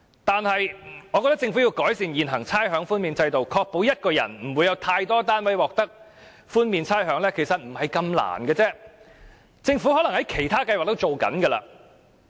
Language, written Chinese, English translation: Cantonese, 但是，我覺得有需要改善現行的差餉豁免制度，確保不會有一人有太多單位獲得差餉豁免，其實這並不困難，政府可能已在其他計劃上這樣做。, However I think it is necessary to improve the present system to ensure that no one will have too many properties exempted from rates payment . That is actually not too difficult to enforce and the Government may have already done so under other schemes